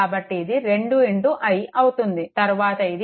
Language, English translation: Telugu, So, it will be 2 into i then this is plus